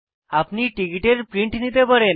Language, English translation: Bengali, You can take a print out of the ticket